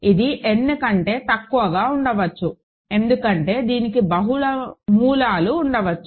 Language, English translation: Telugu, It can be maybe less than n, because it can have multiple roots